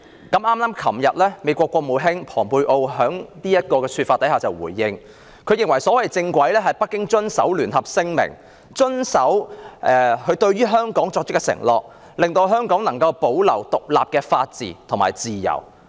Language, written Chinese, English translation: Cantonese, 昨天美國國務卿蓬佩奧就他的說法作出回應，認為所謂"正軌"是北京遵守《中英聯合聲明》，以及遵守對香港作出的承諾，令香港得以保持獨立的法治及自由。, Yesterday the United States Secretary of State Mike POMPEO responded to his remark opining that the so - called right path is Beijing abiding by the Sino - British Joint Declaration and honouring its commitment to Hong Kong so that Hong Kong might uphold the independence of the rule of law and freedom